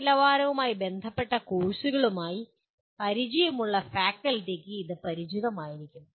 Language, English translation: Malayalam, Those of the faculty who are familiar with quality related courses, they will be familiar with that